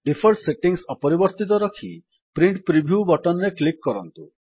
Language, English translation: Odia, Let us keep the default settings and then click on the Print Preview button